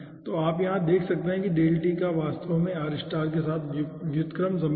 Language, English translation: Hindi, so you can see over here that delta t is actually having ah inverse relationship with r star